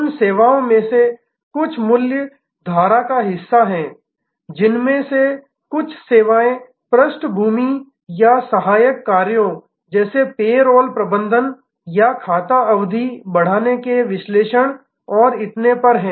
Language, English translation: Hindi, Some of those services are part of the main value stream some of the services are sort of background or auxiliary tasks like payroll management or account ageing analysis and so on